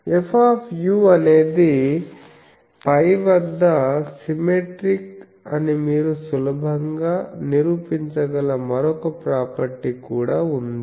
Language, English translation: Telugu, Also there is another property that you can easily prove that F u is symmetric about pi